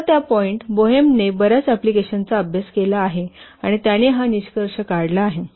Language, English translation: Marathi, So that point, Bohem has studied many applications and he has concluded this